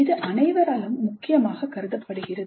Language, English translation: Tamil, This is considered important by all